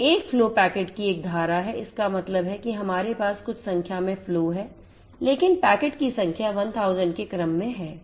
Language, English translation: Hindi, So, if flow is a stream of packets; that means, we have generating few number of flows, but number of packets are in the order of 1000